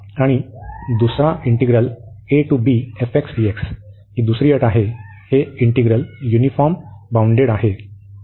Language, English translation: Marathi, And this is uniform, these are these integrals are uniformly bounded